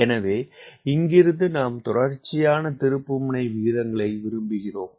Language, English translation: Tamil, so from here we want to come to sustained turn rates